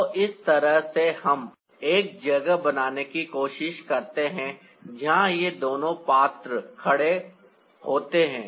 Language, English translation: Hindi, so in that way, we try to create a space where this two characters are standing